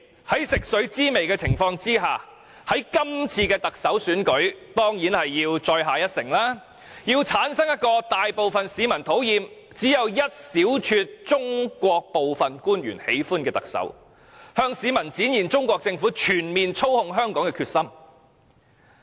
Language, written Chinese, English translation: Cantonese, 由於食髓知味，他們當然希望在這次特首選舉中再下一城，要製造一個大部分市民討厭而只有一小撮中國官員喜歡的特首，向市民展現中國全面操控香港的決心。, In this Chief Executive Election they definitely want to employ the same trick again by bringing up a Chief Executive who is hated by the majority of Hong Kong people but liked by only a handful of Chinese officials so as to demonstrate Chinas determination to exercise comprehensive manipulation over Hong Kong